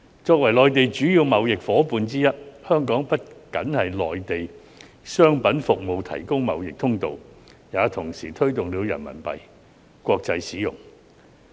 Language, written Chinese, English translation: Cantonese, 作為內地的主要貿易夥伴之一，香港不僅為內地的商品服務提供貿易通道，也同時推動了人民幣的國際使用。, As one of the Mainlands major trading partners Hong Kong not only provides a trade corridor for Mainland goods and services but also promotes the international use of Renminbi RMB